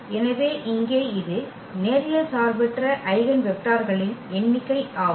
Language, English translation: Tamil, So, here that is the number of linearly independent eigen vectors